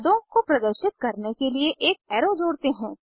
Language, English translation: Hindi, To show the products, let us add an arrow